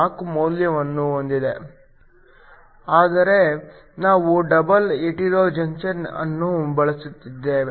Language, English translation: Kannada, 4, but we are using a double hetero junction